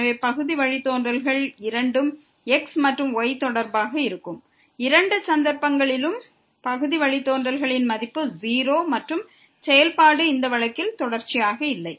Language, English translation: Tamil, So, both the partial derivatives with respect to and with respect to exist the value of the partial derivatives in both the cases are 0 and the function was are not continuous in this case